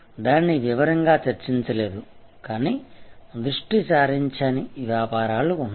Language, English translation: Telugu, We did not discuss it in that detail, but there are businesses which are unfocused